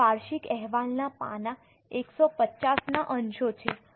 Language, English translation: Gujarati, These are excerpt from the annual report page 155